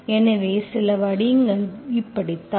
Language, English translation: Tamil, So this is how certain forms